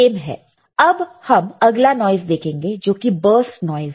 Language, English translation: Hindi, Let us see next one which is burst noise